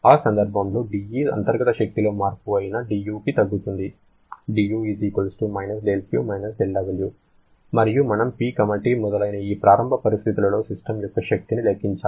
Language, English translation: Telugu, And in that case, dE reduces to dU that is the change in the internal energy=del Q del W and we have to calculate the exergy of this system at this initial situation of PT etc